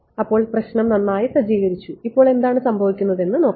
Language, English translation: Malayalam, So, we have setup the problem very well now let us look at what will happen